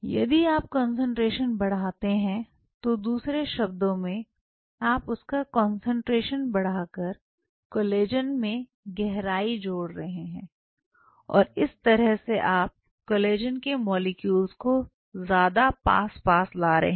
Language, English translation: Hindi, So, increasing the concentration, in another word what you are doing you are increasing the you are introducing a depth feature by increasing the concentration of collagen and thereby you are bringing more collagen molecule close